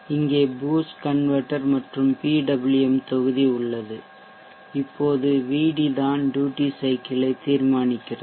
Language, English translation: Tamil, Boost converter and the PWM block here, now VD setting actual the duty cycle